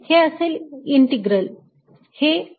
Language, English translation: Marathi, so this is going to be integral